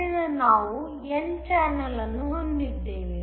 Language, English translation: Kannada, So, we have an n channel